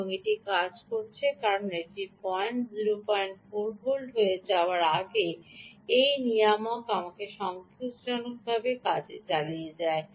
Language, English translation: Bengali, it continues to work because till the point this ah point becomes zero point four volts, this ah regulator, we will continue to work satisfactorily ok